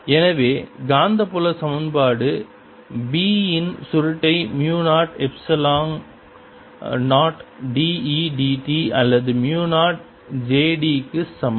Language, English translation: Tamil, so magnetic field equation is: curl of b is equal to mu zero, epsilon zero d, e, d t or mu zero j d